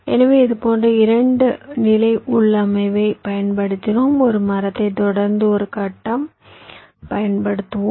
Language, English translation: Tamil, so there we used a similar kind of a two level configuration: a tree followed by a grid, so the global mesh